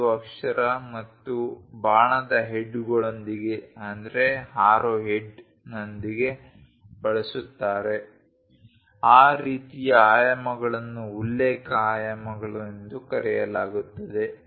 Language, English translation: Kannada, 5 and arrow heads, that kind of dimensions are called reference dimensions